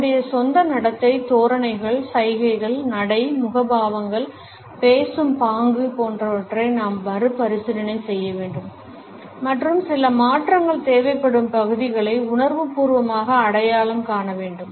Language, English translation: Tamil, We should review our own mannerism, postures, gestures, gait, facial expressions, tonality etcetera and consciously identify those areas which requires certain change